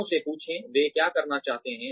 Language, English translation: Hindi, Ask people, what they would like to do